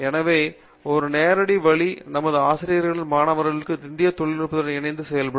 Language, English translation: Tamil, So that’s a direct way in which our faculty and students are working with the Indian industry